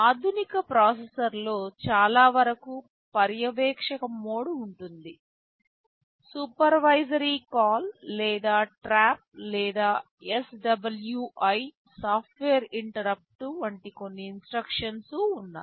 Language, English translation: Telugu, There is a supervisory mode which most of the modern processors have, there are some instructions like supervisory call or trap or SWI software interrupt